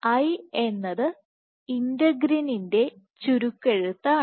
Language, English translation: Malayalam, So, I is short form for integrin